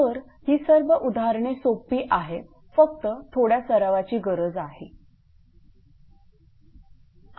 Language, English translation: Marathi, So, problems are simple actually just little bit practice is necessary